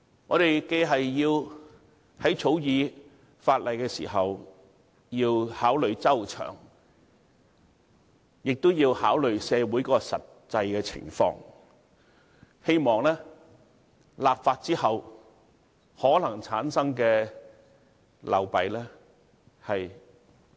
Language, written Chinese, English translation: Cantonese, "我們在草擬法例的時候，既要考慮周詳，亦要考慮社會實際情況，希望盡量減少立法後可能產生的流弊。, We have to deliberate prudently when drafting legislation and especially on the actual social context in the hope of eliminating problems that might be generated as far as possible